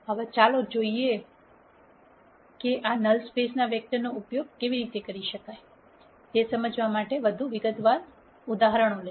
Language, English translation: Gujarati, Now, let us look at this in little more detail to understand how we can use this null space vectors